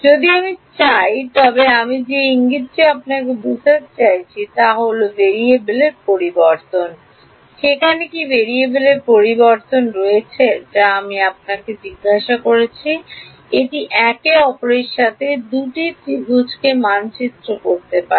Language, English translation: Bengali, If I want so I mean the hint I am trying to lead you towards is change of variables, is there a change of variables that can map the 2 triangles to each other this what I am asking